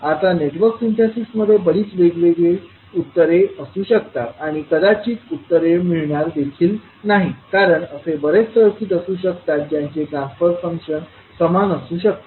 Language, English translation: Marathi, Now in Network Synthesis there may be many different answers to or possibly no answers because there may be many circuits that may be used to represent the same transfer function